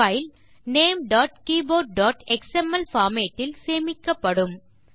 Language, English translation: Tamil, The file is saved in the format ltnamegt.keyboard.xml.Click Close